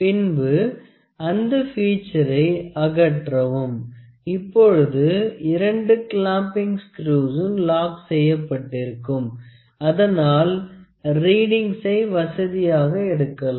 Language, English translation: Tamil, Then will remove the feature, now because both the screws both the clamping screws are locked we can very conveniently see the readings